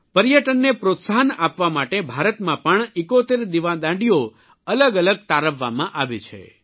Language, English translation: Gujarati, To promote tourism 71 light houses have been identified in India too